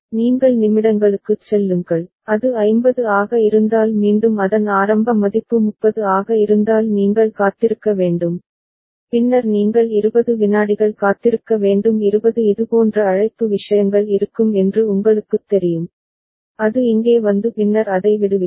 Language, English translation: Tamil, Then you go to minutes so, if it is 50 again you wait if its initial value was 30, then you have to wait for 20 seconds 20 such call you know things will be there and it will come coming here and then you release it